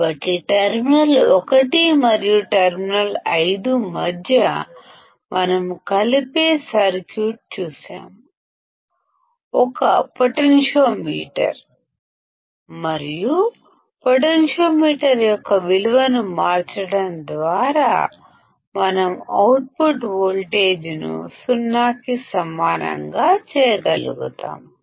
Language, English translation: Telugu, So, we have seen the circuit that we can connect between terminal 1 and terminal 5; a potentiometer and by changing the value of the potentiometer, we will be able to make the output voltage equal to 0